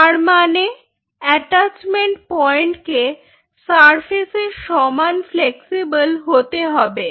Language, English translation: Bengali, so it means this attachment point has to be equally a flexible surface